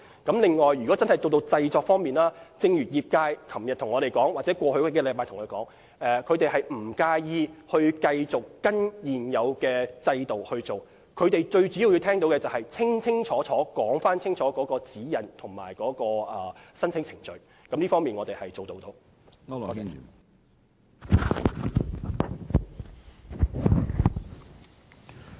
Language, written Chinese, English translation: Cantonese, 在製作方面，正如業界在昨天和過往數星期向我們反映，他們不介意繼續依循現有制度，他們主要想清楚知道指引和申請程序。就此，我們是做到的。, Regarding props production as members of the sectors said to us yesterday and in the past weeks they do not mind following the existing system . They mainly wish to know the guidelines and application procedures clearly and we have done so